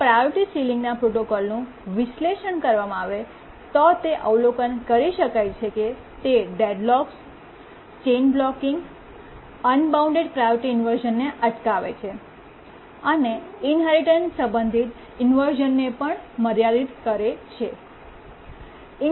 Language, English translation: Gujarati, If we analyze the priority sealing protocol, we will see that it prevents deadlocks, prevents chain blocking, prevents unbounded priority inversion, and also limits the inheritance related inversion